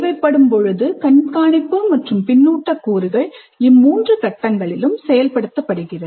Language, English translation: Tamil, Then there is also a component of monitoring and feedback which actually works throughout all these three phases